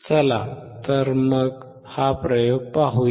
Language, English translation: Marathi, So, let us see this experiment